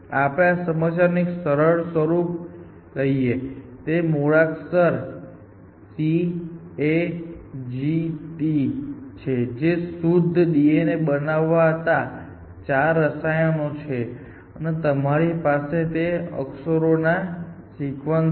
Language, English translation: Gujarati, So, will take a simpler version of this problem, so the alphabet of this is let us see C A G T, which are this four chemicals, which make a pure D N A, and you have sequences of these characters